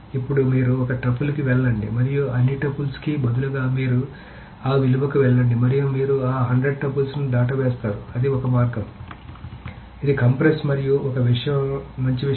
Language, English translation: Telugu, So now you go to one tuple and instead of going over all the tuples, you go to that value and you skip over that 100 tuples all together